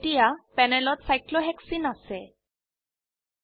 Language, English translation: Assamese, We now have cyclohexene on the panel